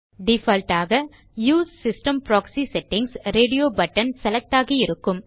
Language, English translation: Tamil, By default, the Use system proxy settings radio button is selected